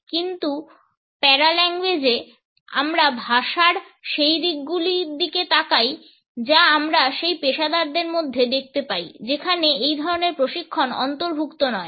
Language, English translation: Bengali, But in paralanguage we look at those aspects of language which we come across in those professionals where this type of training is not included